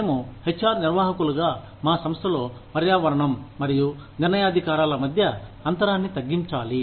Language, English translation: Telugu, We, as HR managers, need to bridge the gap between, the environment and the decision makers, in our organization